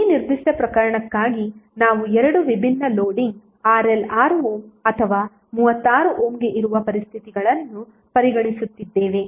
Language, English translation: Kannada, So for this particular case we are considering two different loading conditions where RL is 6 ohm and 36 ohm